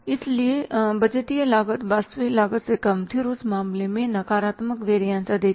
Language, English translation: Hindi, But if the budgeted performance is less than the actual performance, then it is the positive variance